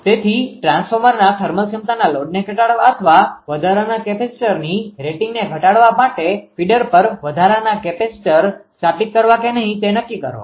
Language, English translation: Gujarati, So, determine a whether or not to install the additional capacitors on the feeder to decrease the load to the thermal capability of the transformer or the rating of the additional capacitor right